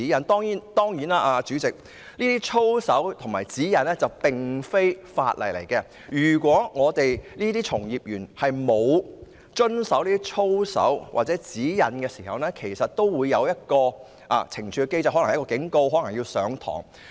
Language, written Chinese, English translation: Cantonese, 代理主席，操守守則和指引並非法例，如果從業員沒有遵守有關操守守則或指引，也會受到懲處機制的懲罰，包括受到警告或接受培訓。, Deputy President ethical codes and guidelines are not laws but if a practitioner fails to comply with any ethical codes or guidelines he will also be punished under the penalty mechanism including being issued a warning or required to receive training